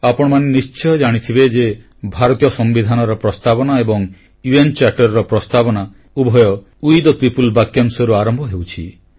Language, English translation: Odia, You may be aware that the preface of the Indian Constitution and the preface of the UN Charter; both start with the words 'We the people'